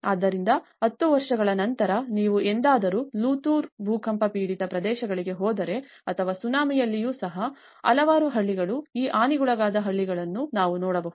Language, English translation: Kannada, So, even after 10 years if you ever go to Latur earthquake affected areas or even in Tsunami, there are many villages we can see these damaged villages lying like that